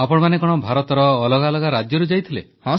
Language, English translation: Odia, Were they from different States of India